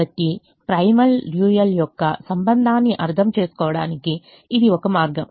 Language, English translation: Telugu, so that is one way to understand primal dual relationship